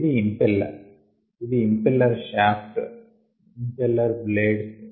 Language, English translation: Telugu, this is the impeller and this is ah impeller shaft, impeller blades